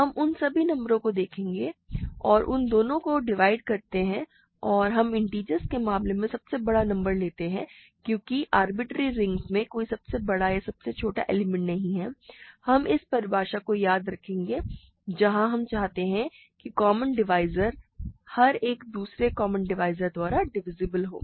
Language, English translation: Hindi, We look at all numbers that divide both of them and we take the largest one in the case of integers, but because there is no largest or smallest elements in arbitrary rings, we are going to stick to this definition where we want the common divisor to be divisible by every other common divisor